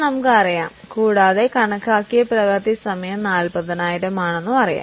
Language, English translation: Malayalam, Now, what we will do is we know the cost and we also know that the estimated working hours are 40,000